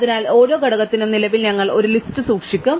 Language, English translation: Malayalam, So, for each component, that we currently have, we keep a list